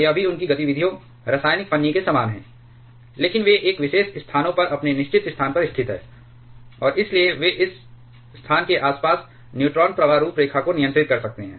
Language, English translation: Hindi, This also their activities quite similar to the chemical shim, but they are located at some their fixed at a particular locations and therefore, they can control the neutron flux profiles around that location